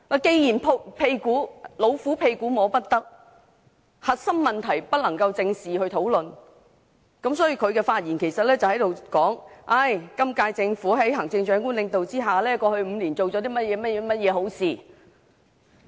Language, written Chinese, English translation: Cantonese, 既然"老虎屁股摸不得"，核心問題就不能夠正視及討論，司長接着在發言中便指出在行政長官領導之下，今屆政府過去5年做了甚麼好事。, Since the tigers tail cannot be pulled the core issues cannot be squarely addressed and discussed . The Chief Secretary then told us the good things done by the Government under the leadership of the Chief Executive over the past five years